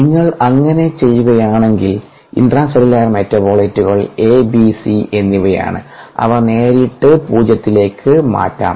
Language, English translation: Malayalam, if we do that, then the intracellular metabolite sorry, abc, they can be directly put to zero